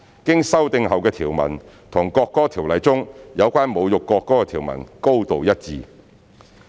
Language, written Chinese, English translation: Cantonese, 經修訂後的條文與《國歌條例》中有關侮辱國歌的條文高度一致。, The provisions as amended are highly consistent with those in NAO in respect of insulting the national anthem